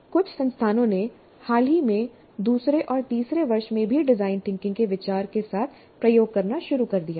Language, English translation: Hindi, And some institutes off late have started experimenting with the idea of design thinking in second and third years also